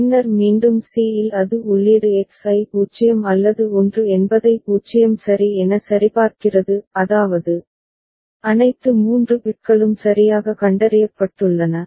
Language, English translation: Tamil, And then at c again it verifies the input X whether it is 0 or 1 if it is 0 ok; that means, all 3 bits have been properly detected ok